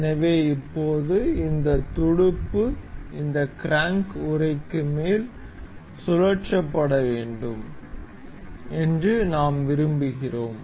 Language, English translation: Tamil, So, now, we want this this fin to be rotated to be placed over this crank casing